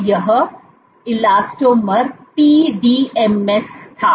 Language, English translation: Hindi, So, this elastomer was PDMS